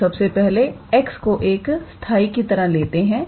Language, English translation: Hindi, So, let us first treat x as constant